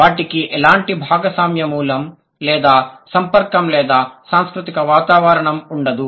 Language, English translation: Telugu, They also do not have any shared origin or contact or cultural environment